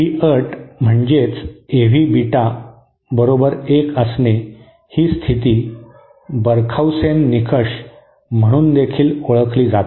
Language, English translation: Marathi, This condition that you know this A V Beta is equal to 1 is also known as Barkhausen criteria